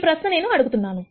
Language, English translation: Telugu, It is a question that I am asking